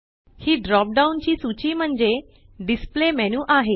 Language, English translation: Marathi, This dropdown list is the display menu